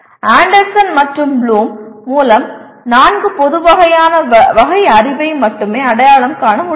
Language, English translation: Tamil, Anderson and Bloom will only identify four general categories of knowledge